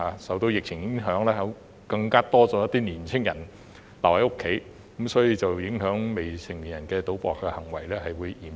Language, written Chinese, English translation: Cantonese, 受到疫情影響，有更多年青人留在家中，致令未成年人賭博的行為更為嚴重。, As a result of the pandemic more young people stay at home and gambling among minors has become more serious